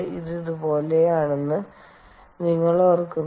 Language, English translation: Malayalam, you remember it look like something like this